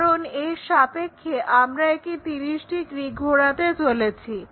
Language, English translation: Bengali, Where do we observe this 30 degrees rotation